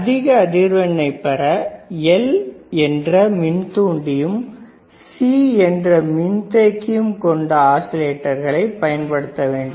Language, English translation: Tamil, For higher frequency we have to use oscillators that are using L, that is inductor and C, is a capacitor right